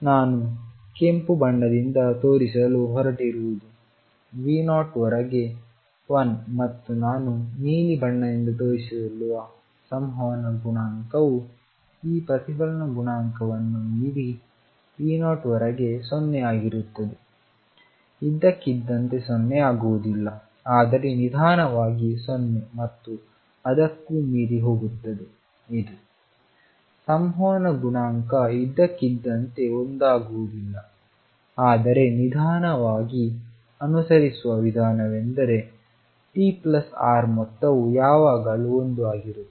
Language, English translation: Kannada, Which I am going to show by red is one up to V 0 and the transmission coefficient which I am going to show by blue is 0 up to V 0 beyond this reflection coefficient does not become 0 all of a sudden, but slowly goes to 0 and beyond this, the transmission coefficient suddenly does not become one, but slowly approach is one such that the sum t plus r is always one